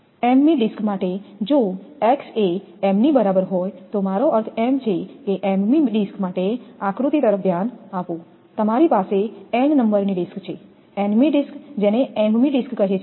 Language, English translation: Gujarati, From for m th disk if x is equal to m I mean for m th disk look at the diagram you have n number of disk n th disk which is called as m th disk